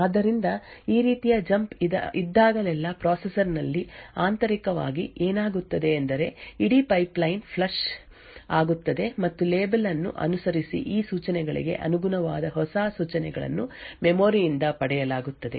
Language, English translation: Kannada, So, whenever there is a jump like this what would happen internally in a processor is that the entire pipeline would get flushed and new instructions corresponding to these instructions following the label would get fetched from the memory